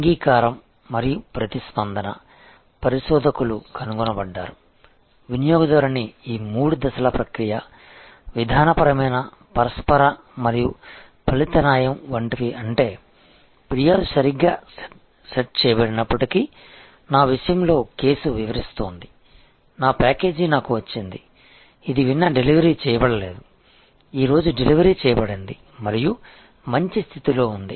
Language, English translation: Telugu, The acceptance and response, researchers are found, the customer's like these three step process, procedural, interactional and outcome justice, which means that, even if the outcome is that the complaint has been set right, like in my case, the case I was describing, I have got my package, which was not delivered yesterday, it has been delivered today and in good condition